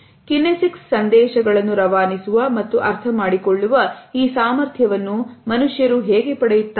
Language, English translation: Kannada, But, how do we acquire this capability to transmit and understand kinesic messages